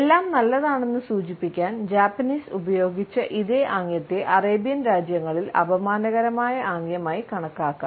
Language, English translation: Malayalam, The same gesture which the Japanese used to indicate that everything is good can be treated as an insulting gesture in Arabian countries